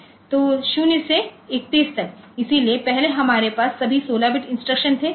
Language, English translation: Hindi, So, so previously we had all 16 bit instructions